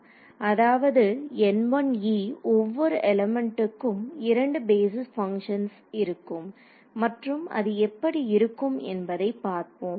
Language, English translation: Tamil, So, N e 1 ok so, each element has two basis functions and let us see what they look like